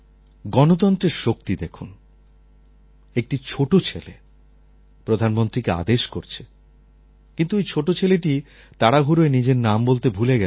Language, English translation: Bengali, Look at the power of democracy, a young kid has ordered the Prime Minister, although the kid forgot to tell his name in a hurry